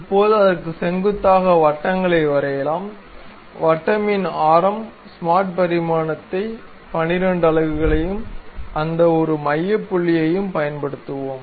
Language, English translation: Tamil, Now, normal to that let us draw circles, a circle of radius; let us use smart dimension 12 units and this one center point to this one